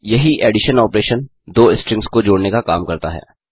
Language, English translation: Hindi, The same addition operation performs the concatenation of two strings